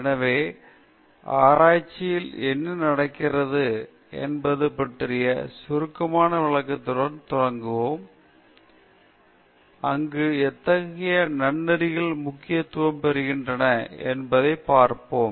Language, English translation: Tamil, So, we will begin with a very brief explanation of what happens in the research process, just to see how ethics becomes important there